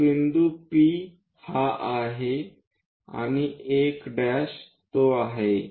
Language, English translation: Marathi, So, P point is that, and 1 prime is that